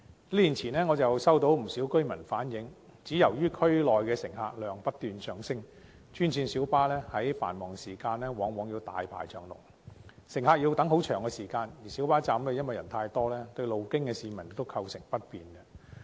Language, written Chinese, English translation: Cantonese, 數年前，我收到不少居民反映，由於區內乘客量不斷上升，專線小巴在繁忙時段往往大排長龍，乘客要等候很長時間，而且小巴站人數太多，對路經的市民亦構成不便。, Several years ago many residents relayed to me that due to an increasing number of passengers in the area they often have to wait a long time in a queue for green minibuses GMBs during peak hours . Moreover a large number of people at GMB stops also cause inconvenience to the passers - by